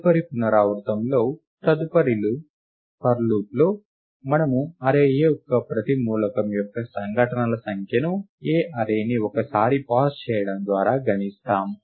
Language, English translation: Telugu, In the next iteration, in the next for loop, we count the number of occurrences of each element of the array A by making one pass of the array A